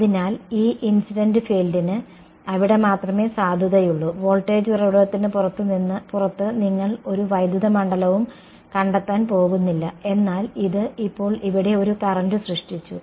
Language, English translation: Malayalam, So, that incident field is valid only over there right, outside the voltage source you are not going to find any electric field, but this has now produced a current over here right